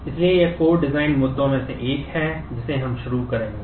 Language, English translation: Hindi, So, this is one of the core design issues that we will start with